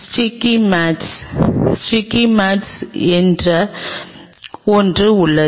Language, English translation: Tamil, There is something called sticky mats, the sticky mats